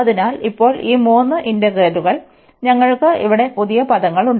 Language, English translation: Malayalam, So, these three integrals now, we have new terms here